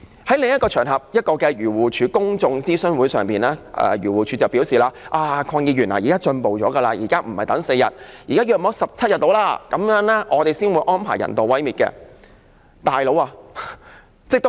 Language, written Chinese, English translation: Cantonese, 在一個漁護署公眾諮詢會上，署方向我表示，現時已經有所進步，不是等4天，大約等17天，他們才會安排人道毀滅。, In a public consultation hosted by AFCD the authorities told me that they had now extended the waiting period from 4 days to about 17 days only after which the animals would be arranged to be euthanized